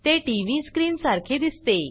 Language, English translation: Marathi, It looks like a TV screen